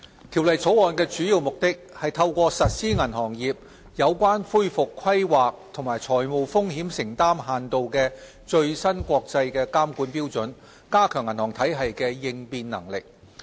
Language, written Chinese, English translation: Cantonese, 條例草案的主要目的，是透過實施銀行業有關恢復規劃及財務風險承擔限度的最新國際監管標準，加強銀行體系的應變能力。, The main purpose of the Bill is to strengthen the resilience of our banking system through the implementation of the latest international standards on banking regulation in relation to recovery planning and financial exposure limits